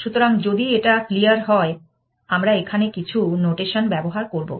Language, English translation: Bengali, So, as long as it is clear, we will use some notation here